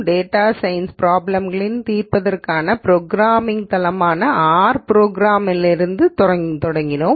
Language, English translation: Tamil, We started with R programming as the programming platform for solving data science problems